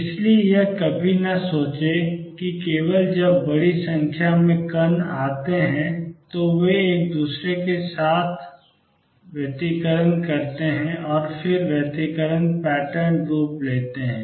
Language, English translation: Hindi, So, never think that it is only when large number particles come they interfere with each other and then the form in interference pattern